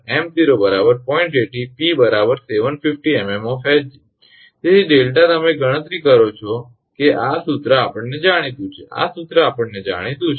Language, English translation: Gujarati, 80 p is 750 mm of mercury therefore, delta you calculate this formula is known to us this formula is known to us